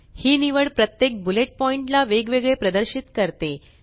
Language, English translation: Marathi, This choice displays each bullet point separately